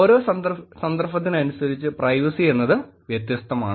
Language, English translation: Malayalam, Every context has different privacy expectations